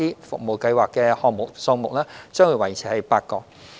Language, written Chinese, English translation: Cantonese, 服務計劃的項目數目將維持為8個。, The number of service projects remains at eight